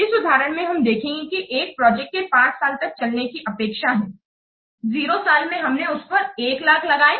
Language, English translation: Hindi, In this example, you will see the application or the project is expected to continue for five years and in zero year we have spent and much one lakh